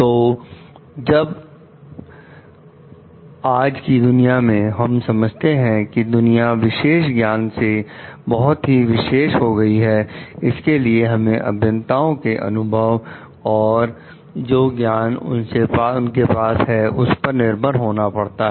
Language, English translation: Hindi, So, like when in today s world we understand the world is so much specialized about specialized knowledge, we have to depend on the engineers for their expertise for their knowledge that they are having